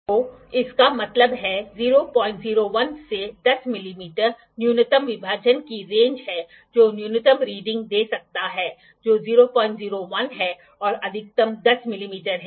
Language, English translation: Hindi, 01 to 10 mm is the range the minimum division the minimum reading that it can give is 0